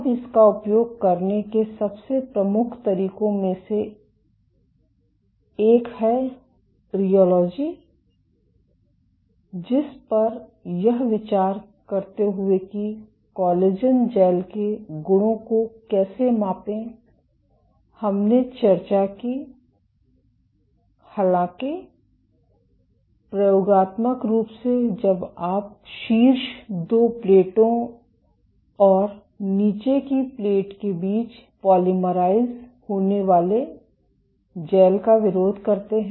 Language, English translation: Hindi, Now, one of the most prominent ways of using this is rheology which we discussed while discussing how to measure properties of collagen gels; however, experimentally when you do as oppose to just the gel being polymerized between the top two plates and the bottom plate